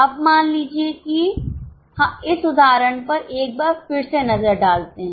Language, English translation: Hindi, Now suppose just have a look at this illustration once again